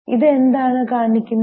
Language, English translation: Malayalam, What does it show